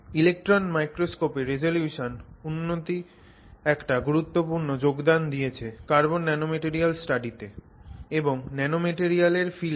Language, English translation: Bengali, Improvements in the resolution have made significant contribution in the field of carbon nanomaterial study and in the field of nanomaterials in general